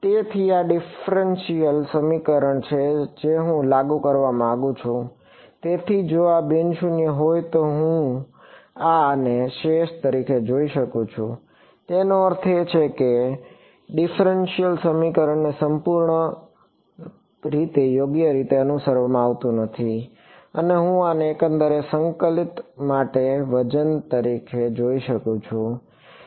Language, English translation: Gujarati, So, this is the differential equation I want to enforce, so this is I can give view this as a residual if this is non zero; that means, the differential equation is not being fully obeyed correct, and I can view this as a weight for this overall integral